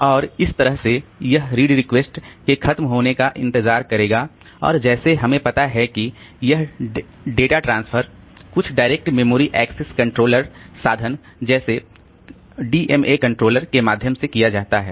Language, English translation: Hindi, So, and in the, so it will wait for the read request to be over and as we know that this data transfer is done by means of some direct memory access sort of controller, DMA controller